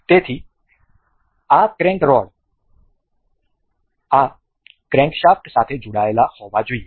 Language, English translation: Gujarati, So, this this crank rod is supposed to be attached with this crankshaft